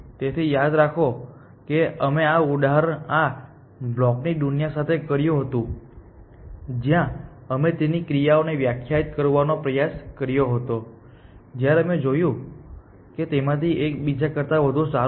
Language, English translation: Gujarati, So, remember we did this example with this blocks world where we tried to define its functions when we saw that one of them was better than the other